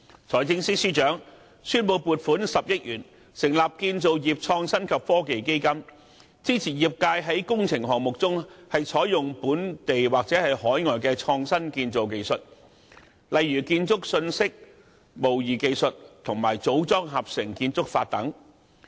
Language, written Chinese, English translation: Cantonese, 財政司司長宣布撥款10億元成立建造業創新及科技基金，支持業界在工程項目中採用本地或海外的創新建造技術，例如建築信息模擬技術和組裝合成建築法。, The Financial Secretary has announced the allocation of 1 billion to set up an Innovation Technology Fund ITF for the construction industry to support the application of local or overseas technology such as Building Information Modelling BIM and Modular Integrated Construction to construction projects